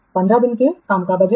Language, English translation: Hindi, Budgeted workday is 15 days